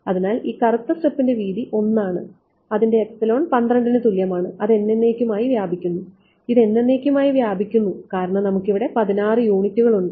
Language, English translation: Malayalam, So, the width of this black strip is 1 it has epsilon equal to 12 and it extends forever of course, it extends forever because I have defined the computational domain about we have 16 units over here right